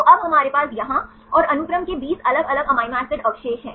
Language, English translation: Hindi, So, now, we have the 20 different amino acids residues here and the sequence here